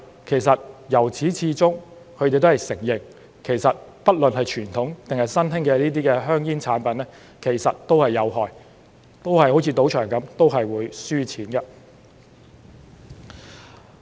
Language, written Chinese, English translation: Cantonese, 然而，由始至終他們也承認，不論是傳統還是新興的香煙產品其實都是有害的，都好像進入賭場般會輸錢的。, Nevertheless they all along admit that both conventional and emerging tobacco products are in fact harmful just like gamblers will definitely lose money in casinos